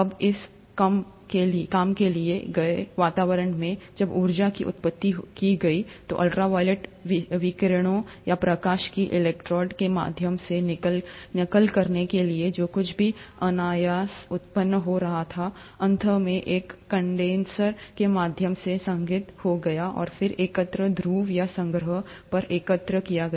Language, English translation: Hindi, Now in this reduced environment, when the energy was supplied, to mimic ultra violet radiations or lightnings through electrodes, whatever was being spontaneously generated was then eventually condensed by the means of a condenser, and then collected at the collecting pole, or the collecting conical flask